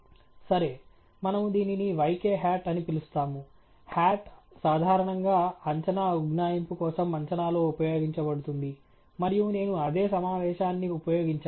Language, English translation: Telugu, Okay so, we call this as yk hat, hat is typically used in estimation for a prediction approximation and so on, and I have used the same convention